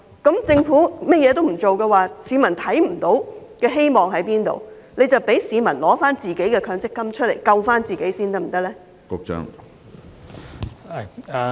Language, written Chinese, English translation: Cantonese, 如果政府甚麼也不做，市民根本看不見希望，所以請政府准許市民提取自己的強積金自救，可以嗎？, If the Government takes no action members of the public simply fails to see any hope at all . As such can the Government allow members of the public to withdraw their MPF contributions for self - salvation?